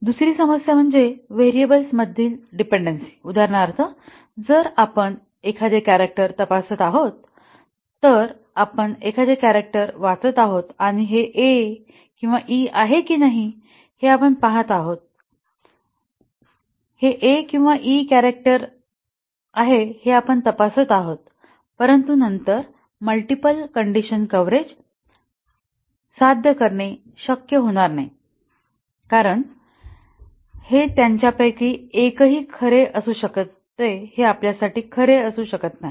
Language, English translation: Marathi, The second problem is dependency among variables for example, if we are checking a character we are reading a character and checking that whether it is A or E we would write this expression character is A or character is E, but then achieving multiple condition coverage for this will not be possible because this can at best one of them can be true we cannot have true, true for this